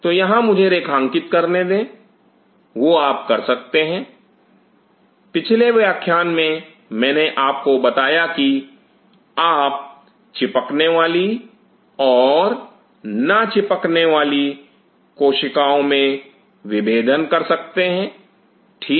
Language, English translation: Hindi, So, here let me highlight that you can, in the previous class I told you that you can distinguish between adhering cell and non adhering cells right